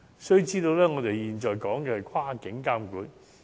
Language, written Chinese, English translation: Cantonese, 須知道，我們現在說的是跨境監管。, Please note that we are now talking about cross - boundary regulation